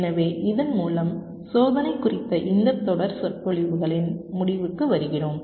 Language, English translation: Tamil, ok, so with this we come to the end of this series of lectures on testing